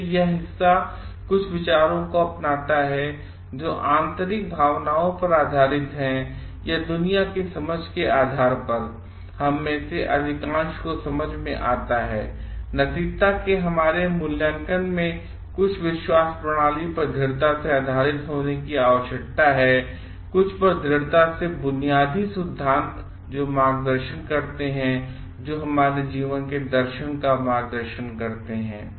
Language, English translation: Hindi, So, this part like adopt some ideas which are based on inner feelings or are make most of the sense of us based on the understanding of the world and our own evaluation of ethics needs to be strongly grounded on some believe system, strongly grounded on some basic principles which guides which are guiding philosophy of our life